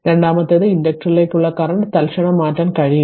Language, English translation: Malayalam, Second one is the current to inductor cannot change instantaneously